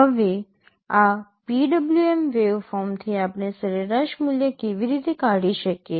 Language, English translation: Gujarati, Now, from this PWM waveform, how can we extract the average value